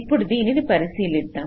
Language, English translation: Telugu, so lets look into it